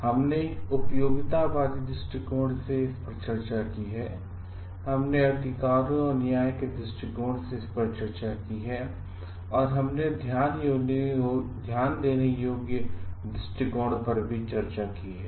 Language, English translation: Hindi, And we have discussed this from the utilitarian in perspective, we have discussed this from the rights and justice perspective, and we have discussed this from the care perspective also